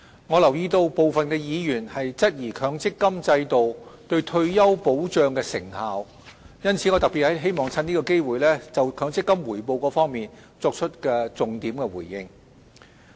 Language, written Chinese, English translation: Cantonese, 我留意到部分議員質疑強積金制度對退休保障的成效，因此我特別希望藉此機會就強積金的回報作重點回應。, I note that some Members have cast doubt on the effectiveness of the MPF System regarding retirement protection . I therefore particularly wish to take this opportunity to give a focused response in respect of MPF returns